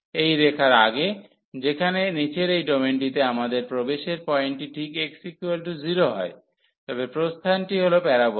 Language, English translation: Bengali, Before this line so, in this domain in the lower domain here, we have the entry point exactly at x is equal to 0, but the exit is the parabola